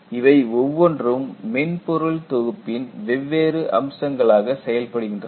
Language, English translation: Tamil, And, each one performs different aspects of the whole software package